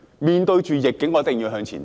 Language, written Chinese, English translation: Cantonese, 面對逆境，我們一定要向前走。, In face of adversity we must move forward